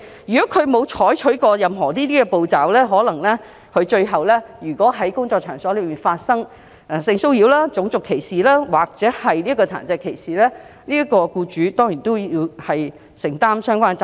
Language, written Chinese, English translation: Cantonese, 如果他們沒有採取任何切實可行的步驟，而工作場所最終發生性騷擾、種族歧視或殘疾歧視事故，他們便要承擔轉承責任。, If they have failed to take any reasonably practicable steps they will have to bear the vicarious liability when there is sexual harassment racial discrimination or disability discrimination in their workplace